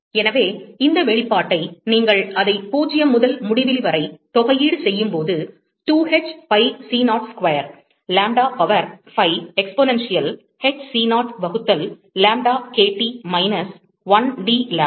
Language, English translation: Tamil, So, when you integrate this expression so, that is integral 0 to infinity, 2 h pi c0 square, lambda power 5 exponential, h c0, by lambda kT minus 1 dlambda